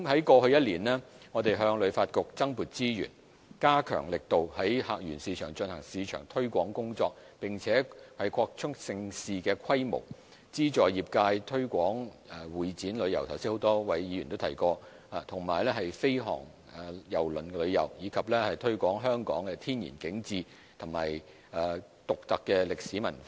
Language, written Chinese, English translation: Cantonese, 過去一年，我們向旅發局增撥資源，加強力度在客源市場進行市場推廣工作，並且擴充盛事規模、資助業界推廣會展旅遊——剛才已有多位議員提及——和飛航郵輪旅遊，以及推廣香港的天然景致和獨特歷史文化。, Over the past year we have allocated additional resources to HKTB to step up promotion efforts in various source markets enhanced the scale of mega events provided subsidy to promote Meetings Incentive Travels Conventions and Exhibitions―mentioned by a number of Members earlier―and fly - cruise tourism as well as promoted Hong Kongs natural scenery and unique history and culture